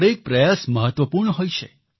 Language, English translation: Gujarati, Every effort is important